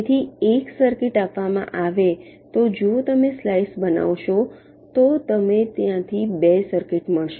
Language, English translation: Gujarati, so, given a circuit, if you make a slice you will get two circuits from there